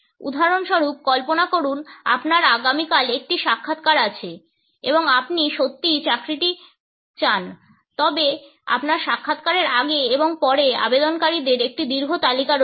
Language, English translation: Bengali, For example, imagine you have an interview tomorrow and you really want the job, but there is a long list of applicants before and after your interview